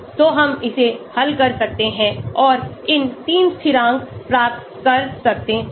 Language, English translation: Hindi, So we can solve this and get these 3 constants